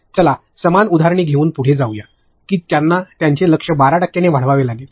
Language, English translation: Marathi, Let us go with the same examples that they have to increase their targets by 12 percent